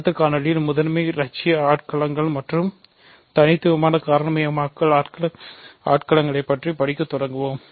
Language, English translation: Tamil, In the next video, we will start studying principal ideal domains and unique factorization domains